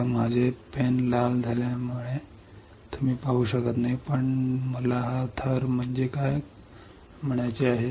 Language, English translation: Marathi, So, because of my pen is red you cannot see, but what I mean is this layer